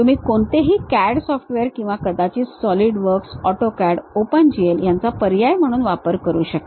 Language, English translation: Marathi, If you open any CAD software may be solid works, AutoCAD these options you will be have or Open GL